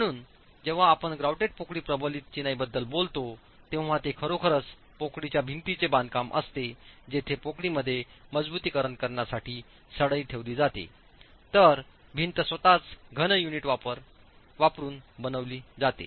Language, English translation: Marathi, So, when we talk of grouted cavity reinforced masonry, it is really the cavity wall construction where reinforcement is placed in the cavity, whereas the wall itself is constructed using solid units